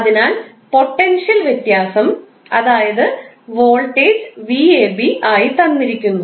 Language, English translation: Malayalam, So, potential difference, that is, voltage is given as v ab